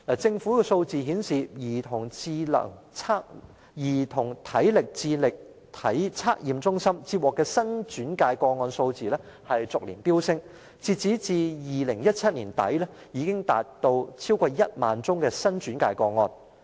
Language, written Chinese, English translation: Cantonese, 政府的數字顯示，兒童體能智力測驗中心接獲的新轉介個案數字逐年飆升，截至2017年年底已達超過1萬宗新轉介個案。, As reflected by the Governments statistics there has been a surging number of new referrals to the Child Assessment Centres every year and the number has already exceeded 10 000 as at the end of 2017